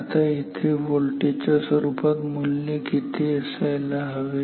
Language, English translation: Marathi, Now, what should be the value here in terms of voltage